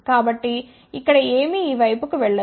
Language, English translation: Telugu, So, nothing will go to this side here ok